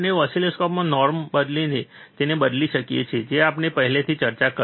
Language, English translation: Gujarati, We can change the it by changing the norm in the oscilloscope, that we have already discussed